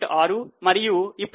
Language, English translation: Telugu, 6 and now 1